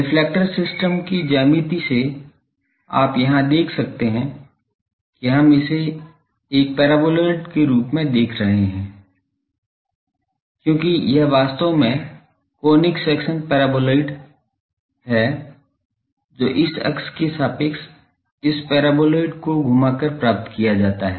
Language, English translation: Hindi, The geometry of the reflector system you can see here we are seeing it as a paraboloidal, because this is actually the conic section paraboloid which is obtained by revolving this paraboloid about this axis